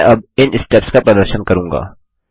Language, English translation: Hindi, I will now demonstrate these steps